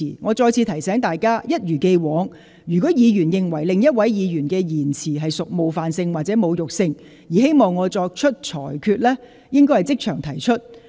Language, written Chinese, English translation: Cantonese, 我再次提醒大家，一如既往，若議員認為另一位議員的言詞屬冒犯性或侮辱性，而希望我作出裁決，應即場提出。, I would like to remind Members once again that as always if Members consider another Members remark offensive or insulting and thus want me to make a ruling they should raise the request on the spot